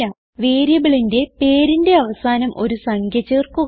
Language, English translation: Malayalam, Now let us add the number at the end of the variable name